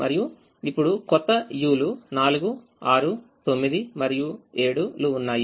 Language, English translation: Telugu, now the new u's are four, six, nine and seven